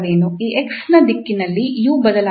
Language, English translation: Kannada, That in the direction of this x the u does not change